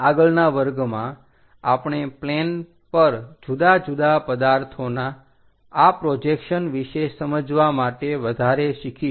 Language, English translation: Gujarati, In the next class, we will learn more about these projections of different objects on to planes to understand the information